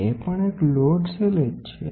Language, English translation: Gujarati, That is also a load cell